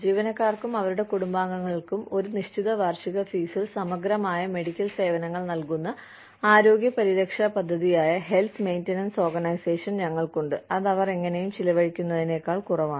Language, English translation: Malayalam, We have health maintenance organization, which is the health care plan, that provides comprehensive medical services, for employees and their families, at a flat annual fee, which is lower than, what they would have, anyway spent